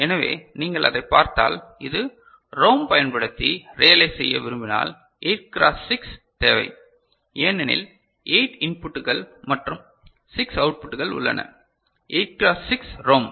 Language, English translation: Tamil, So, if you just look at it and you know try to realize using a ROM then you may think of that I need a 8 cross 6 because there are 8 inputs and 6 outputs, 8 cross 6 ROM ok